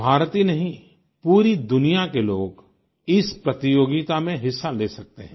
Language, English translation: Hindi, Not only Indians, but people from all over the world can participate in this competition